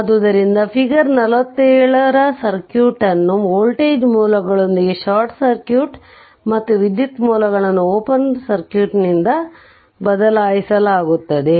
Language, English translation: Kannada, So, figure 47 the circuit with the voltage sources replaced by short circuit and the current sources by an open circuit right